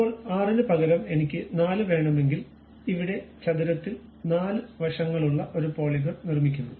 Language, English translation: Malayalam, Now, instead of 6 if I would like to have 4, it construct a polygon of 4 sides here square